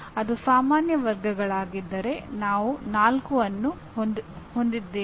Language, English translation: Kannada, If it is general categories, we are having 4